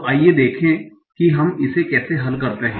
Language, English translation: Hindi, So let us try to do that